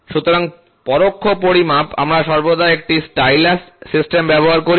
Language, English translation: Bengali, So, in indirect measurement, we always use a stylus system